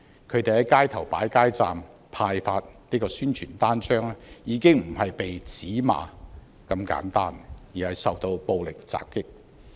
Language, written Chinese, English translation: Cantonese, 他們在街頭擺設街站派發宣傳單張時，已經不是被指罵這般簡單，而是受到暴力襲擊。, When DC members set up street booths to hand out flyers they were not only lambasted but violently assaulted